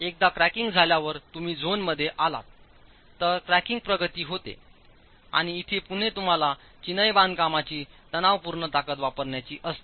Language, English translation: Marathi, Once cracking progresses, you're into zone 2, cracking progresses and here again you might want to use a tensile strength of the masonry